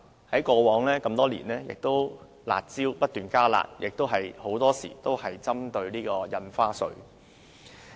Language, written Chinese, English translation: Cantonese, 過往多年，政府制訂"辣招"後不斷加辣，很多時候都是針對印花稅。, For many years in the past the Government kept enhancing the curb measures which are very often related to stamp duty